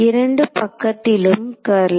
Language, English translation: Tamil, Curl on both sides